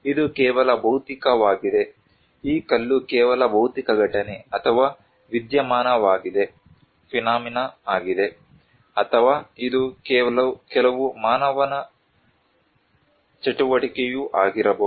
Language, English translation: Kannada, It is just a physical, this stone is just a physical event or phenomena, or it could be some human activity also